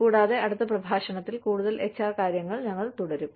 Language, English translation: Malayalam, And, we will continue with more HR stuff, in the next lecture